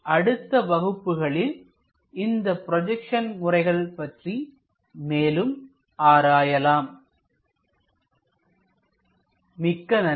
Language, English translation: Tamil, In the next class, we will learn more about other projection methods